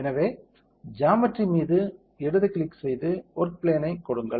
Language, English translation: Tamil, So, left click on the geometry and give work plane